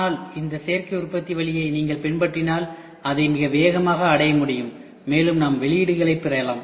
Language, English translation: Tamil, But if you follow this additive manufacturing route, that can be achieved very fast and we look for outputs